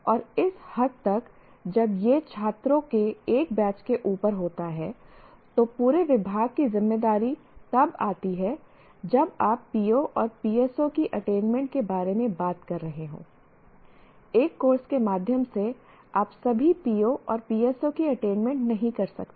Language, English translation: Hindi, And to that extent, as it is over a batch of students, the responsibility of the entire department comes in when you are talking about attainment of POs and PSOs